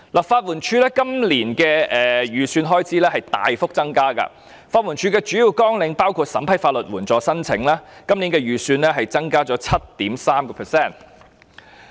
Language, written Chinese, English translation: Cantonese, 法律援助署今年的預算開支大幅增加，而法援署的主要綱領包括審批法律援助申請，今年相關預算增加 7.3%。, The estimate of the Legal Aid Department LAD this year has been increased significantly . As for the major programme which includes processing legal aid applications the relevant estimate has been increased by 7.3 %